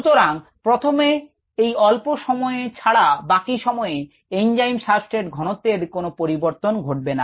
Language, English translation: Bengali, ok, so apart from very short times here, early times, the concentration of the enzyme substrate complex does not change